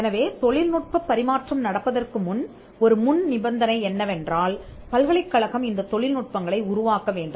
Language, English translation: Tamil, So, before the technology can be transferred, a prerequisite is that the university should create these technologies, so that is the prerequisite